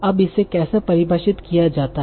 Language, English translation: Hindi, So how will I define it